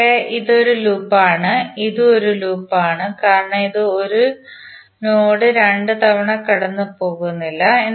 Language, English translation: Malayalam, So here, this is a loop and this is also a loop because it is not tracing 1 node 1 node 2 times